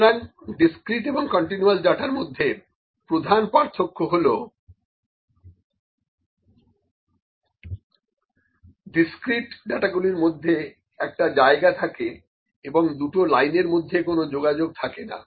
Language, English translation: Bengali, So, the major difference between the discrete and continue data is that in discrete data, we have the spaces in between there is no connection between the 2 lines